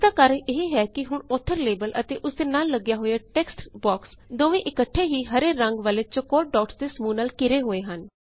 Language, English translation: Punjabi, This is because we see that the author label and its textbox adjacent to it, are encased in one set of green boxes